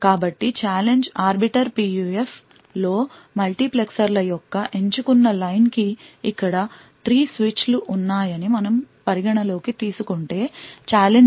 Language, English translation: Telugu, So the challenge in the Arbiter PUF is that the select line of the multiplexers so for example over here considering that there are 3 switches, the challenge is 0, 0 and 1